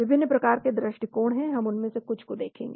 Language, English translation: Hindi, There are different types of approaches we will look at some of them